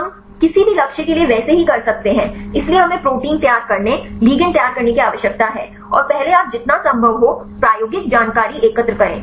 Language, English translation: Hindi, We can likewise for any targets; so we need to prepare the protein, prepare the ligand and first you collect the experimental information as much as possible